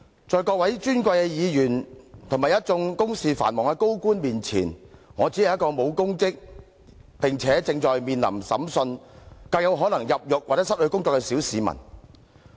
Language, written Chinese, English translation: Cantonese, 在各位尊貴的立法會議員和一眾公事繁忙的高官面前，我只是一名沒有任何公職，且正面臨審訊，更有可能入獄和失去工作的小市民。, In contrast to various esteemed Legislative Council Members and the many high - ranking officials occupied with their official duties I am just an insignificant member of the public who does not hold any public office facing the prospect of standing trial and what is more of going to prison and losing my job